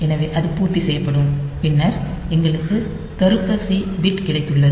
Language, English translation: Tamil, So, that will be complemented then we have got n logical C bit